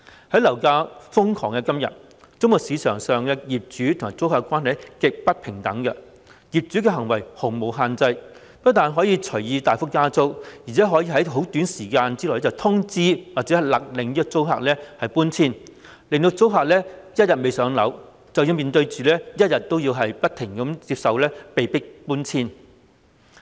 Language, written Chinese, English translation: Cantonese, 在樓價瘋狂的今天，租務市場上的業主及租客關係極不平等，業主的行為毫無限制，不但可以隨意大幅增加租金，而且可以在短時間內通知或飭令租客遷出，租客只要仍未"上樓"，便須不斷面對和接受被迫搬遷。, With the exorbitant property prices nowadays the landlord - tenant relationship in the rental market is extremely unequal . There is no regulation on landlords behaviour for not only can they raise the rents at liberty but also notify or order tenants to move out at very short notice . Tenants are frequently forced to move out and they have to accept it so long as they are not yet allocated a PRH unit